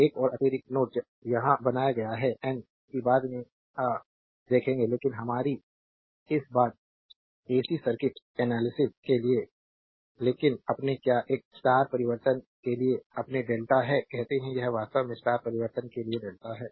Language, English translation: Hindi, One another additional node is created here n right that we will see later right ah, but for our this thing AC circuit analysis, but your; what you call this is your delta to star transformation, this is actually delta to star transformation